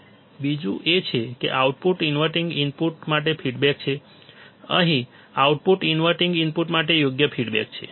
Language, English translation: Gujarati, Second is output is feedback to the inverting input, output here is feedback to the inverting input correct